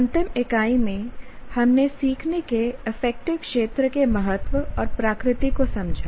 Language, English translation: Hindi, In the last unit, we understood the importance and nature of affective domain of learning